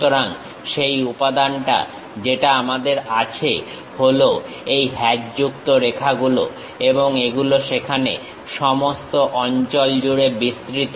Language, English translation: Bengali, So, that material what we are having is these hatched lines and that extends all the way there and that extends all the way there